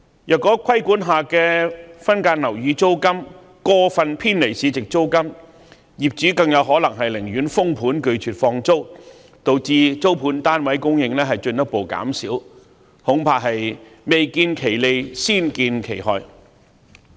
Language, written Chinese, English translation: Cantonese, 如果規管下的分間樓宇租金過分偏離市值租金，業主更有可能寧願封盤拒絕放租，導致租盤供應進一步減少，恐怕未見其利，先見其害。, If the regulated rents of subdivided units deviate too much from the open market rental landlords may refuse to rent out their flats thus reducing rental unit supply in which case I am afraid we will see harms long before we can see the benefits